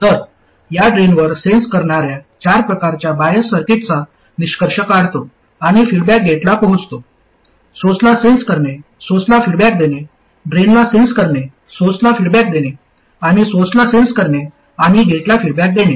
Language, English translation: Marathi, So, this concludes the four types of bias circuits, that is sensing at the drain, feeding back to the gate, sensing at the source, feeding back to the source, sensing at the drain feeding back to the source and sensing at the source and feeding back to the gate